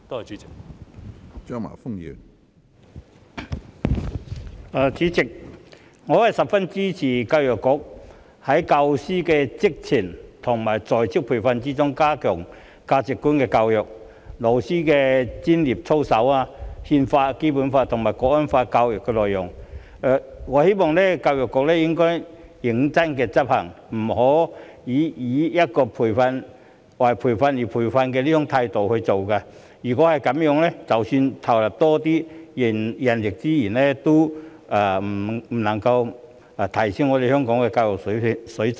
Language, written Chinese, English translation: Cantonese, 主席，我十分支持教育局在教師的職前和在職培訓中加強價值觀的教育、老師的專業操守、《憲法》、《基本法》及《香港國安法》教育的內容，我希望教育局應該認真執行，不要以"為培訓而培訓"這種態度來做，否則即使投入更多人力資源，也不能夠提升香港的教育水準。, President I fully support EDB in strengthening in the pre - service and in - service teacher training the contents on values education teachers professional conduct the Constitution the Basic Law and the education of the National Security Law . I hope that EDB can seriously put that into practice and will not have the attitude of providing training for the sake of training . Otherwise despite the injection of more resources the education standard of Hong Kong can still be unable to be enhanced